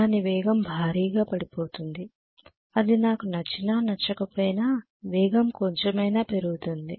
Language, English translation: Telugu, The speed will increase enormously whether I like it or not the speed is going to increase quite a bit